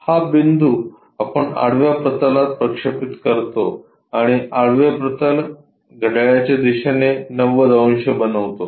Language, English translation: Marathi, This point we project it on to horizontal plane and horizontal plane is made into 90 degrees clockwise direction